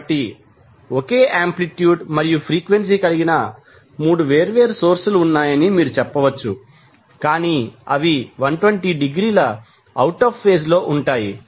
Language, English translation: Telugu, So, you can say that the there are 3 different sources having the same amplitude and frequency, but they will be out of phase by 120 degree